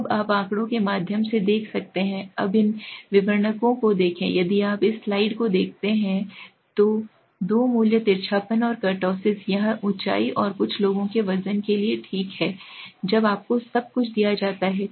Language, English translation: Hindi, When you can see through the statistics, now look at these descriptors, if you look at this slide there are 2 values skewness and kurtosis this is for the height and the weight of the some people okay when you everything is given to you